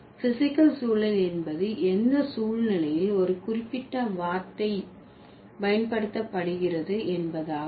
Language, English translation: Tamil, Physical context would be in what situation this particular word has been used